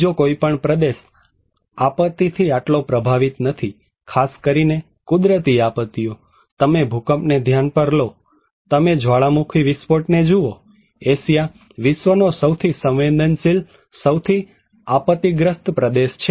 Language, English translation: Gujarati, No other region is that much affected by disaster; natural disasters particularly, well you consider earthquake, you consider volcanic eruption, flood; Asia is the most vulnerable, most disaster prone region in the world